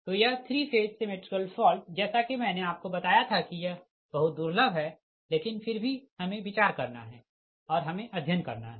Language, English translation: Hindi, so this three phase symmetrical fault as i told you that it is very rare, but still we have to consi[der] we have to study this one right